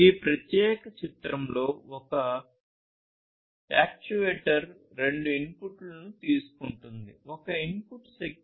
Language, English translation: Telugu, So, as you can see in this particular figure, an actuator takes two inputs, one input is the energy